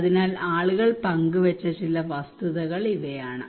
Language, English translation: Malayalam, So these some of the facts people have shared